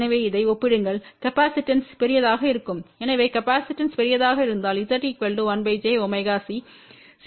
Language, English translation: Tamil, So, compare to this this capacitance is going to be large , so if the capacitance is large that means, Z equal to 1 by j omega C will be small